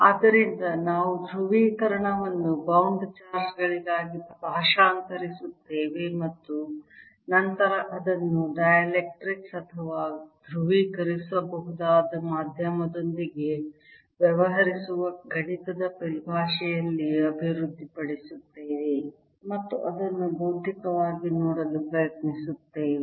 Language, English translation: Kannada, so we will translate polarization into bound charges and then develop in mathematics of dealing with dielectrics or polarizable medium and try to see it physically also